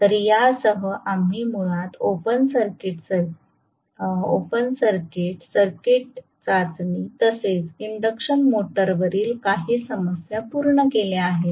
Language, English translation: Marathi, So, with this we have concluded basically open circuit short circuit test as well as couple of problems on induction motor, okay